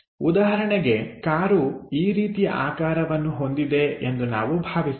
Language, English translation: Kannada, For example, let us consider our car is of this kind of shape